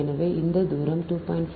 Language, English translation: Tamil, so this is two meter